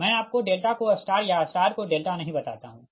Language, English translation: Hindi, i do not tell you delta to star or star to delta, you know it right